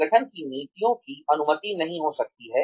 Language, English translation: Hindi, The organization 's policies may not permitted